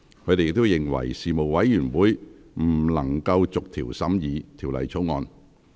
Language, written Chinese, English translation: Cantonese, 他們認為，事務委員會不能逐條審議《條例草案》。, They insisted that the Panel cannot scrutinize the Bill clause by clause